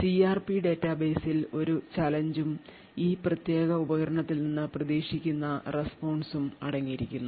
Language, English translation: Malayalam, So the CRP database contains a challenge and the expected response from this particular device